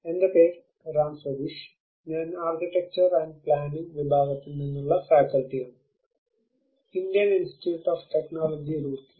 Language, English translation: Malayalam, My name is Ram Sateesh, I am a faculty from department of architecture and planning, Indian Institute of Technology Roorkee